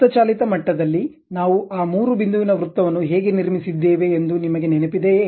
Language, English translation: Kannada, Ah Do you remember like how we have constructed that three point circle at manual level